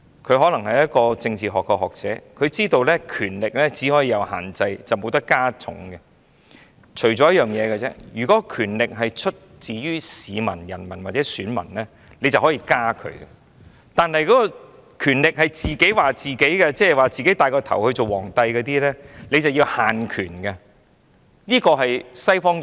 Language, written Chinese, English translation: Cantonese, 他可能是政治學學者，知道權力只可以施以限制，不能加重，除非權力是出自於人民或選民，便可以增加；但如果權力是自己賦予的，即是自己戴上皇冠稱王，這樣便要限權，這是西方議會......, Being a scholar of political science he knows that power should only be restrained and not enhanced . Only power given by the people or the electorate should be enhanced . If the power is self - given it is like a person crowning himself and calling himself king